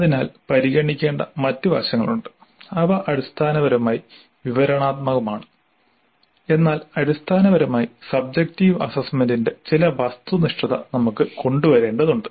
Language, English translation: Malayalam, So there are other aspects to be considered which essentially are subjective but we need to bring in certain objectivity to the essentially subjective assessment